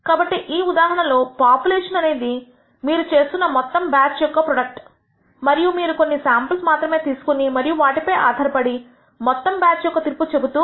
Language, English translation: Telugu, So, the population in this case is the entire batch of product that you are making and you are taking only a few samples and based on these samples you are making a judgment about the entire batch